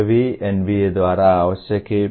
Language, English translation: Hindi, This is also required as by the NBA